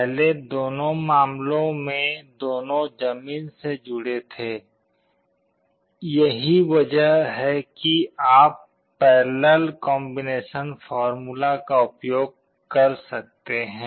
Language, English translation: Hindi, In the earlier cases both were connected to ground, that is why you could use the parallel combination formula